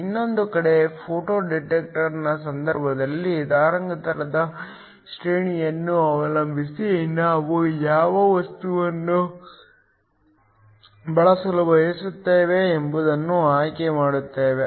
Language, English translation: Kannada, The other hand in the case of a photo detector depending upon the wavelength range we will choose what material we want to use